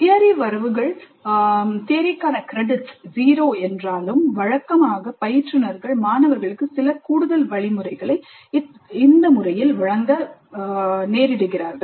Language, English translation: Tamil, Though the credits for theory are zero, usually the instructors do provide certain additional instruction to the students